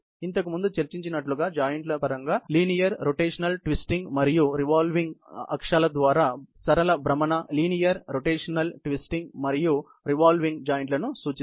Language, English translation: Telugu, As just discussed before, the joints can be denoted by the letters L, R, T and V for linear rotational twisting and revolving, respectively